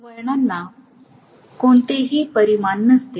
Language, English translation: Marathi, Turns do not have any dimension